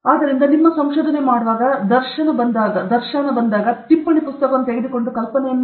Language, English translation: Kannada, So, when you are doing your research, when the dharshana comes, take a note book and write down this idea